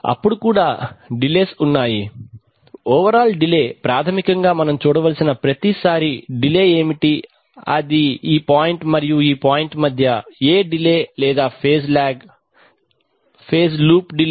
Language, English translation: Telugu, Then there are also the, there is an overall delay basically what every time we have to see that what is the delay or phase lag between this point and this point that is the loop phase delay